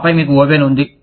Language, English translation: Telugu, And then, you have an oven